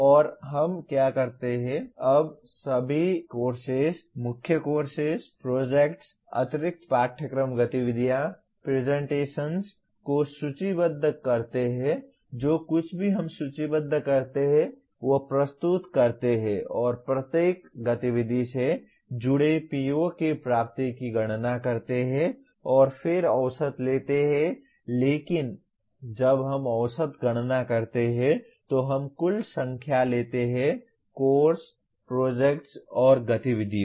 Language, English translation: Hindi, And what we do is we list all the courses, core courses, projects, extra curricular activities, presentations everything we list and compute the attainment of POs associated with each activity and then take average but when we compute average we take the total number of courses, projects and activities